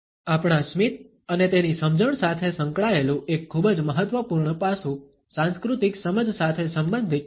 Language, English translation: Gujarati, A very important aspect related with our smiles and its understanding is related with cultural understandings